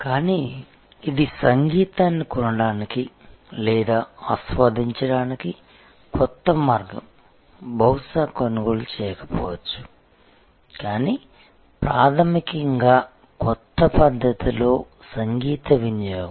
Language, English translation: Telugu, But, this is a new way of buying or enjoying music may be even not buying, but basically consumption of music in a new way